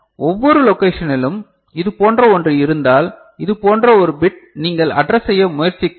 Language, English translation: Tamil, If you are having in each location say one such thing, one such bit you are trying to address